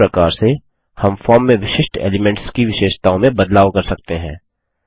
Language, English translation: Hindi, In this way, we can modify the properties of individual elements on the form